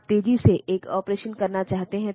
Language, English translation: Hindi, So, this is called the operation code